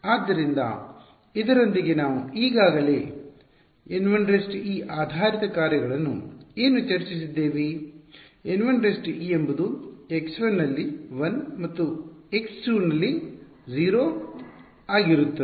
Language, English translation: Kannada, So, with this together what do we have already discussed the basis functions N 1 e is N 1 e is going to be 1 at x 1 and 0 at x 2 right